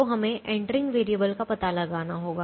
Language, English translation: Hindi, so we have to find out the entering variable